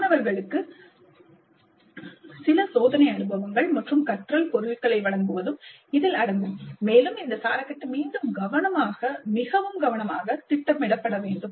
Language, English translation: Tamil, This will include providing certain trial experiences and learning materials to the students and this scaffolding must be planned again very carefully